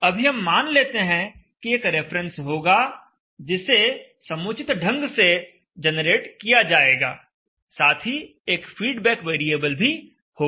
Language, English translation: Hindi, So right now consider that there will be a reference which will be generated appropriately and there will be a feedback variable